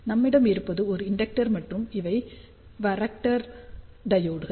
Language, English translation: Tamil, So, what we have we have an inductor and then these are varactor diodes